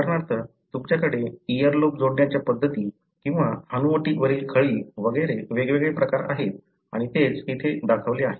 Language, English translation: Marathi, For example, you have different forms the way the earlobe is attached or people having a dimple chin and so on and that is what is shown here